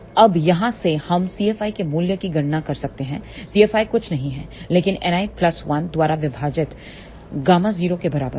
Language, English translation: Hindi, So, from here now we can calculate the value of C F i, C F i is nothing but gamma 0 divided by 1 plus n i